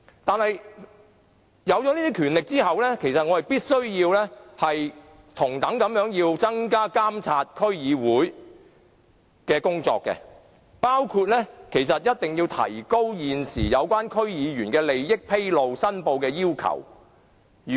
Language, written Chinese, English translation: Cantonese, 但是，區議會獲得這些權力後，我們必須同樣增加對區議會的監察，包括提高現時有關區議員利益披露和申報的要求。, Nevertheless after DCs are vested with such powers we must also step up the monitoring of DCs including raising the existing requirements for disclosure and declaration of interests by DC members